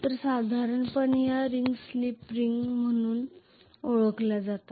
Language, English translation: Marathi, So normally these rings are known as slip ring